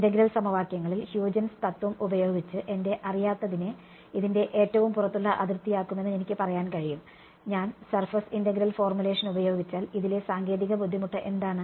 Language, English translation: Malayalam, In integral equations right, I can say that I will make my unknowns using Huygens principle to be the outermost boundary of this, what is the technical difficulty in this, if I use surface integral formulation